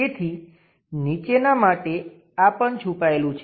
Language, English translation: Gujarati, So, this one also hidden for the bottom one